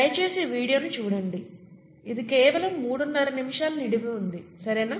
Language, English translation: Telugu, Please see that video, it’s only about 3and a half minutes long, okay